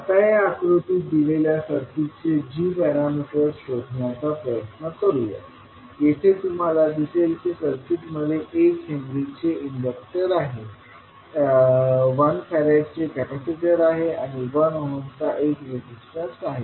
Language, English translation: Marathi, Now next, let us try to find the g parameters of the circuit which is given in this figure, here you will see that the circuit is having inductor of one henry capacitor of 1 farad and one resistance of 1 ohm